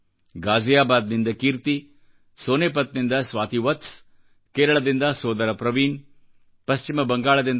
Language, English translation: Kannada, Kirti from Ghaziabad, Swati Vats from Sonepat, brother Praveen from Kerala, Dr